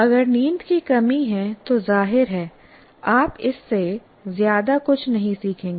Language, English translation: Hindi, So if you, there is sleep deprivation obviously you are not going to learn that very much